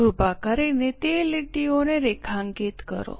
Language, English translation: Gujarati, Please underline those lines